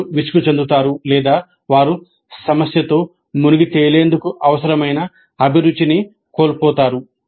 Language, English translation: Telugu, They become bored or they become frustrated and they start losing the passion required to engage with the problem